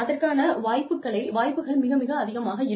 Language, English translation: Tamil, And, the chances of that, happening are much higher